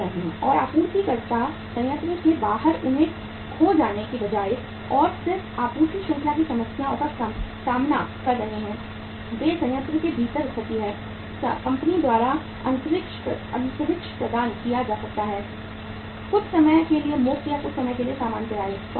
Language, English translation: Hindi, And suppliers rather than locating them outside the plant and then again facing the supply chain problems, they are located within the plant, space is provided by the company, sometime free of cost or sometime on some say normal renting